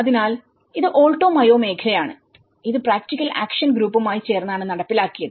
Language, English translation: Malayalam, So, this is the Alto Mayo region and this has been carried out with the practical action group